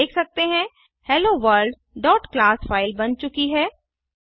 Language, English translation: Hindi, We can see HelloWorld.class file created